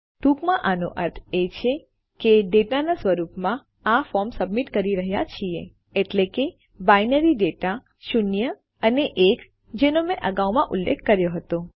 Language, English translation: Gujarati, In short this means that were submitting this form in the form of data that is, binary data zeroes and ones which I mentioned earlier over here